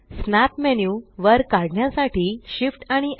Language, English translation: Marathi, Shift S to pull up the snap menu